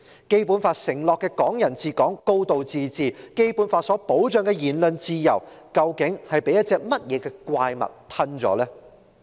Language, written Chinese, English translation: Cantonese, 《基本法》承諾的"港人治港"、"高度自治"，《基本法》所保障的言論自由，究竟被甚麼怪物吞食了？, What kind of monster has swallowed up the promises of Hong Kong people ruling Hong Kong and a high degree of autonomy enshrined in the Basic Law and the freedom of speech protected under the Basic Law?